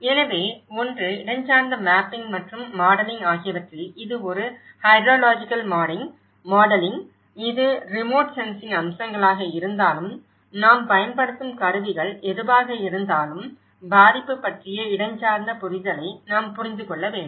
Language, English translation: Tamil, So, one, how you can address that in the spatial mapping and the modelling, whether it is a hydrological modelling, whether it is a remote sensing aspects so, whatever the tools we are using but we need to understand the spatial understanding of the vulnerability